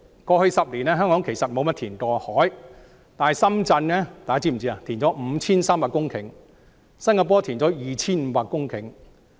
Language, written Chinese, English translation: Cantonese, 過去10年，香港沒有怎樣填海，但大家是否知悉，深圳已填海 5,300 公頃，新加坡已填海 2,500 公頃。, In the past 10 years not much reclamation has been done in Hong Kong; but do you know that Shenzhen has already reclaimed 5 300 hectares of land and Singapore has reclaimed 2 500 hectares of land?